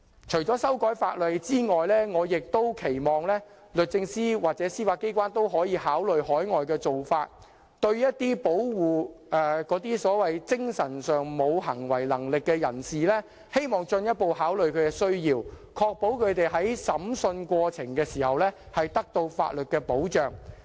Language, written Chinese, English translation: Cantonese, 除修改法例外，我亦期望律政司或司法機關參考海外的做法，對保護精神上無行為能力的人士，進一步考慮其需要，確保他們在審訊過程中獲法律保障。, Apart from introducing legislative amendments I also hope that DoJ or the Judiciary can make reference to overseas practices for the protection of mentally incapacitated persons by giving further consideration to their needs such that their protection in court proceedings can be assured by law